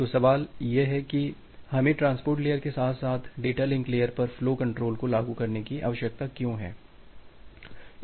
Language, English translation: Hindi, So, the question comes that, why do we need to implement flow control at the transport layer as well as the data link layer